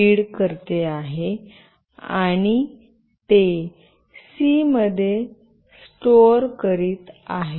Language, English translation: Marathi, read using this function and it is storing it in c